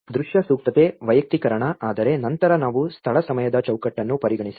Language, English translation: Kannada, Visual appropriateness, personalization but then as we consider the space time framework